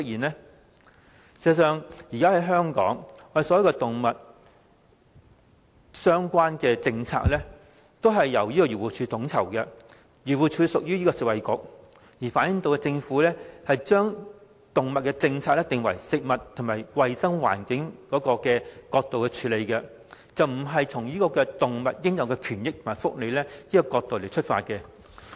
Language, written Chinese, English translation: Cantonese, 事實上，現時香港所有與動物相關的政策，都由漁護署統籌，漁護署隸屬食物及衞生局，反映政府的動物政策僅從"食物"及"衞生環境"角度出發，而不是從動物應有權益及福利的角度着眼。, As a matter of fact all policies relating to animals are coordinated by AFCD . As AFCD is under the Food and Health Bureau it shows that all animal - related policies are formulated from the perspectives of food and environmental hygiene rather than from the perspectives of the entitled rights and welfare of animals